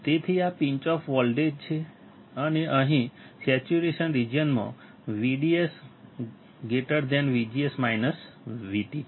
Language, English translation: Gujarati, So, this is the pinch off voltage and here in saturation region V D S is greater than V G S minus Vt